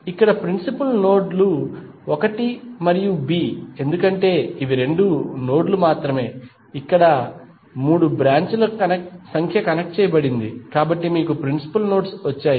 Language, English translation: Telugu, The principal nodes here are 1 and B because these are the only two nodes where number of branches connected at three, so you have got principal nodes